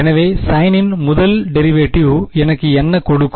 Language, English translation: Tamil, So, first derivative of sine will give me